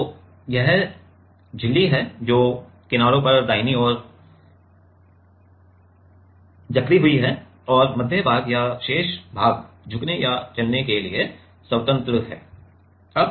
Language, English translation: Hindi, So, this is the membrane and which is clamped at the edges right and the middle part or rest of the part is free to bend or move